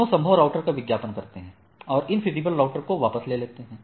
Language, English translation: Hindi, So, both advertising the possible feasible routers, and withdrawing infeasible routers